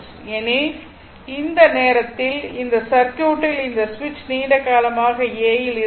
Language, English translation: Tamil, Because at that times this circuit this ah your switch was in position a for long time